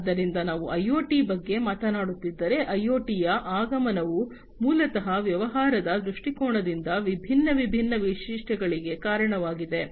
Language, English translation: Kannada, So, if we are talking about IoT, the advent of IoT basically has resulted in different features from a business perspective